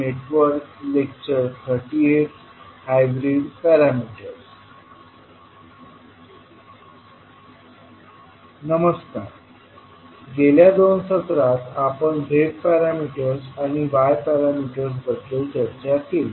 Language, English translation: Marathi, Namaskar, in last two sessions we discussed about the z parameters and y parameters